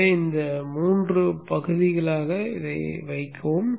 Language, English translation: Tamil, So keep it into these three parts